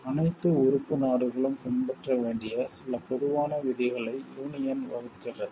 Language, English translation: Tamil, The union lays down some common rules which all member states are required to follow